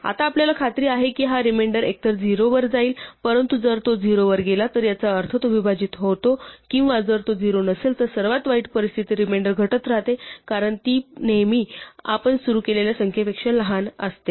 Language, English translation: Marathi, Now we are guaranteed that this remainder will either go to 0, but if it goes to 0 it means it divides or if itÕs not 0 in the worst case the remainder keeps decreasing because it is always smaller than the number that we started with